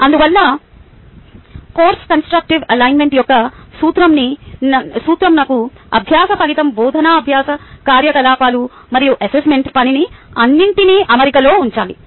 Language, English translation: Telugu, hence, the principle of constructive alignment requires us to keep the learning outcome, the teaching learning activity and the assessment task all in alignment